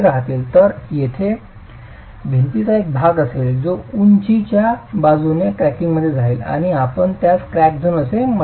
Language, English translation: Marathi, So there will be a part of the wall which goes into cracking along the height and you call that the crack zone